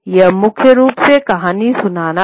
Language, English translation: Hindi, So it will primarily be storytelling